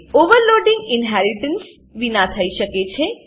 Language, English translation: Gujarati, Overloading can occurs without inheritance